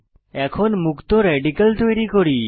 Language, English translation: Bengali, Now lets create the free radicals